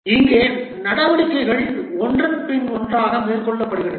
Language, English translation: Tamil, Here the activities are carried out one after other